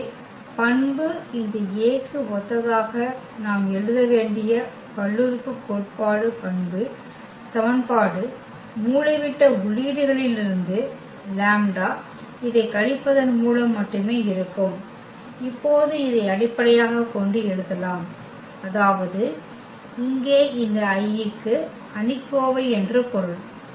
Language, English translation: Tamil, So, the characteristic polynomial characteristic equation we have to write corresponding to this A which will be just by subtracting this lambda from the diagonal entries and now we can write down in terms of this I mean this determinant here